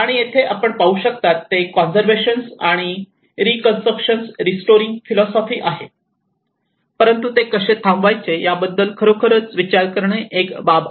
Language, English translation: Marathi, And here, what you can see is that conservation philosophy of restoring and the reconstruction, but where to stop it, How to stop it, that is one aspect one has to really think about it